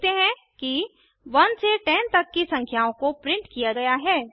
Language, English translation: Hindi, We see that, the numbers from 1 to 10 are printed